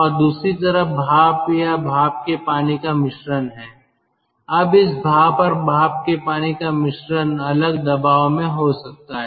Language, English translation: Hindi, now, this steam and steam water mixture, they could be at different pressure